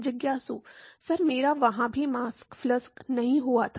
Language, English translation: Hindi, Sir I did not have also there the mass flux